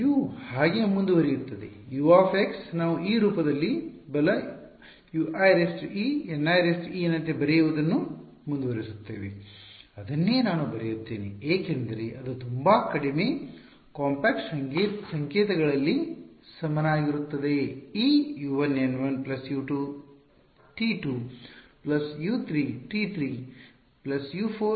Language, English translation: Kannada, U continues to be so, U of x we will continue to write it as in this form right U i e N i e x that is that is what I will write it as this is also equal to in very short compact notation what is this U 1 N 1 plus U 2 T 2 plus U 3 T 3 plus U 4 let us call it N 4